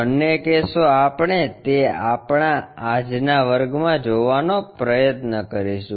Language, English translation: Gujarati, Both the cases we will try to look at that in our today's class